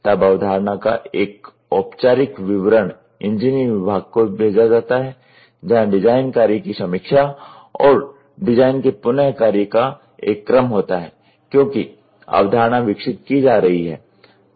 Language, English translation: Hindi, Then a formal description of the concept is sent to the engineering department where a sequence of design work review and rework of the design takes place as the concept is being developed